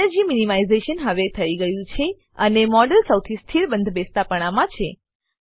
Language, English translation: Gujarati, Energy minimization is now done and the model is in the most stable conformation